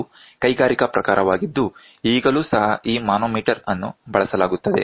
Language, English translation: Kannada, This is industrial type this is a manometer which is used even today